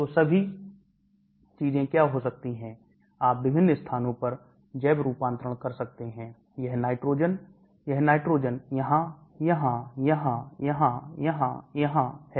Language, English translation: Hindi, So what are all things can happen, you can have biotransformation in various places, this nitrogen, that nitrogen, here, here, here, here, here, here